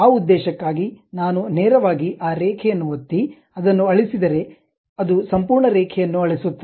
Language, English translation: Kannada, For that purpose, if I just straight away click that line, delete it, it deletes complete line